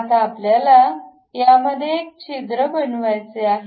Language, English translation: Marathi, Now, we would like to make a hole out of that